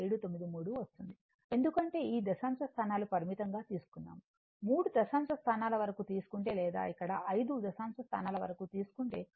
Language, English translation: Telugu, 793 because this decimal place is truncated if you take up to three decimal places or here you take up to five decimal places